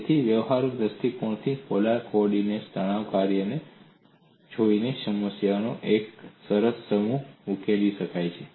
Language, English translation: Gujarati, So from a practical point of view, quite a nice set of problems could be solved by looking at the stress function in polar co ordinates